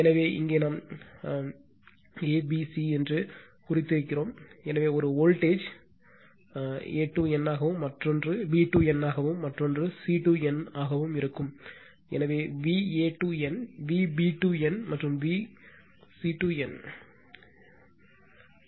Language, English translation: Tamil, So, here we have marked that your a, b, c, so one voltage will be a to n, then another will be b to n, another will be your c to n, so V a to n, V b to n, and V c to n right